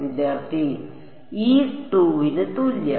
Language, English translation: Malayalam, e equal to 2